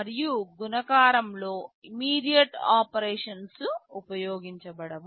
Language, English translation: Telugu, And in multiplication immediate operations cannot be used